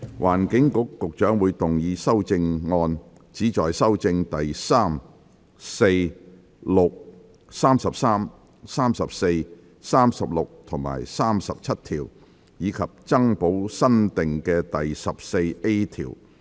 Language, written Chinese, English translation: Cantonese, 環境局局長會動議修正案，旨在修正第3、4、6、33、34、36及37條，以及增補新訂的第 14A 條。, The Secretary for the Environment will move amendments which seek to amend clauses 3 4 6 33 34 36 and 37 and add new clause 14A